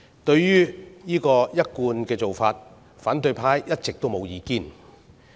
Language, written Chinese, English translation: Cantonese, 對於這個一貫的做法，反對派一直沒有意見。, All along the opposition has had nothing against this established practice